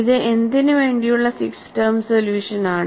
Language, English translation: Malayalam, This is a 6 term solution, for what